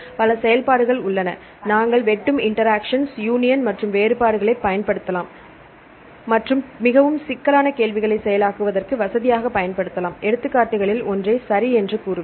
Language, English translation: Tamil, Also there are several operations, we can use we can use the intersection union and the difference and so on to facilitate the processing of the very complex queries, I will tell you one of the examples ok